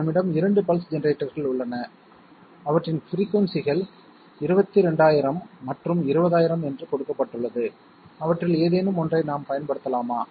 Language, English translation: Tamil, We have two pulse generators and their frequencies are given to be 22000 and 20,000, can we use any of them